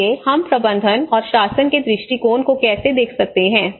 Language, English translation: Hindi, So how we can look at the management and the governance perspective